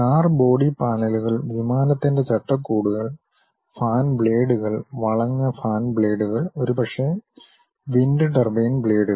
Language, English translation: Malayalam, Car body panels, aircraft fuselages, maybe the fan blades, the twisted fan blades and perhaps wind turbine blades